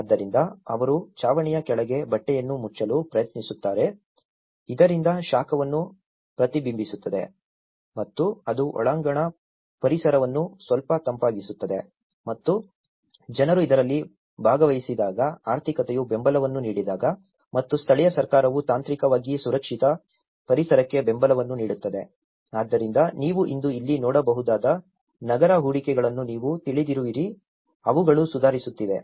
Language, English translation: Kannada, So, they try to cover a cloth under the roof so that it can you know reflect the heat and it can make the indoor environment a little cooler and when people are participant in this, when the economy is giving support and the local government is technically giving support for a safer environments, so that is where you know the urban investments what you can see here today is they are improving